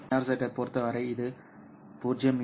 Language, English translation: Tamil, For NRZ, this is about 0